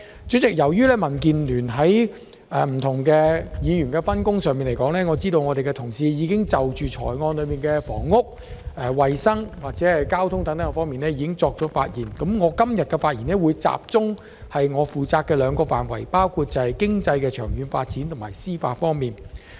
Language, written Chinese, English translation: Cantonese, 主席，由於民建聯的議員有不同的分工，而我的同事已就預算案中的房屋、衞生及交通等措施發言，所以我今天會集中就我負責的兩個範圍發言，包括經濟的長遠發展及司法。, President given the division of labour among the Members belonging to the Democratic Alliance for the Betterment and Progress of Hong Kong Budget initiatives on housing health and transport have already been covered by my colleagues . Therefore today I will mainly speak on the two areas that I am responsible namely long - term economic development and administration of justice